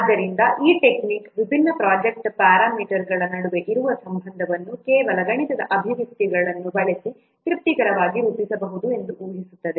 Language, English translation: Kannada, So, this technique assumes that the relationship which exists among the different project parameters can be satisfactorily modeled using some mathematical expressions